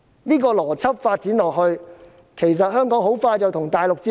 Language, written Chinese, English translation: Cantonese, 這個邏輯發展下去，其實香港很快便會與大陸接軌。, If this logic develops Hong Kong will integrate with the Mainland very soon